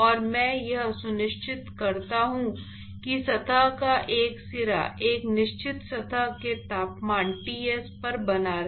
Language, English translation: Hindi, And I maintain that one end of the surface is maintained at a certain temperature surface temperature Ts